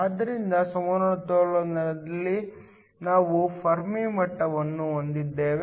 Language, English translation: Kannada, So, in equilibrium, I have the Fermi levels line up